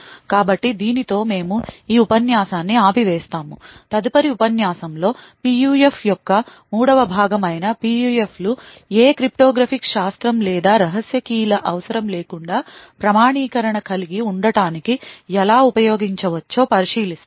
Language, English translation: Telugu, So with this we will stop this lecture, in the next lecture which is a third part of PUF, we will look at how these PUFs could be used to have an authentication without the need for any cryptography or secret keys